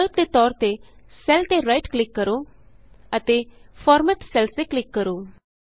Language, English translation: Punjabi, Alternately, right click on the cell and click on Format Cells